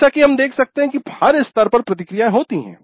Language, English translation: Hindi, As we can see there are feedbacks at every stage